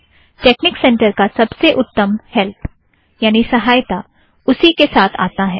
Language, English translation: Hindi, The best help for texnic center comes with it